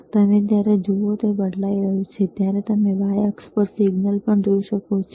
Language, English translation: Gujarati, And when you see, when he is changing, you can also see the signal on the y axis